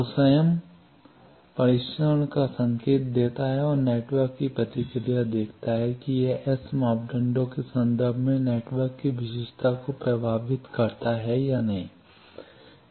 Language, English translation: Hindi, So, it gives the test signal itself and sees the response of the network from that it infers the characteristic of the networks in terms of S parameter